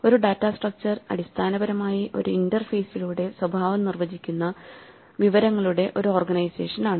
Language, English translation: Malayalam, A data structure is basically an organization of information whose behavior is defined through an interface